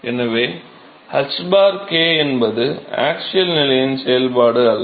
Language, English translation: Tamil, So, it is the h by k is not a function of the axial position